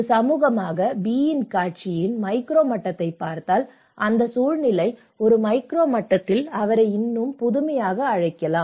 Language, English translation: Tamil, If we look at a micro level of that B as a community so, we can still call him more innovative in that context at a micro level